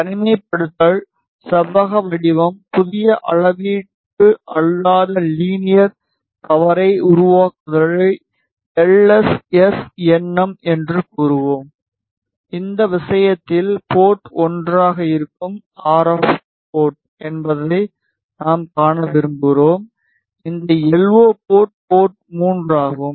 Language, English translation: Tamil, We will say isolation, rectangular, create add new measurement non linear power LSSnm and in this case, we want to see to is the RF port which is port 1; from is the LO port which is port 3